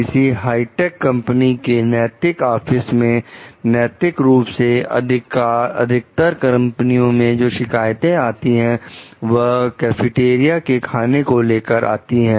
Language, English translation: Hindi, So, the ethics officer of a high tech company like to like most of the company complaints that came to her office were about the food in the cafeteria